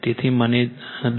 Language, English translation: Gujarati, So, let me